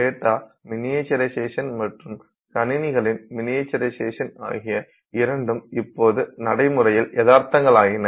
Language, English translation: Tamil, Both the data there, the way in which the data has been miniaturized as well as the miniaturization of the computers, both of those are now realities